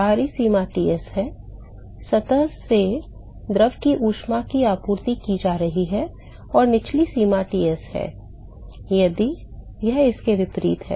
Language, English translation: Hindi, The upper limit is Ts is the heat is being supplied from the surface to the fluid and the lower limit is Ts if it is vice versa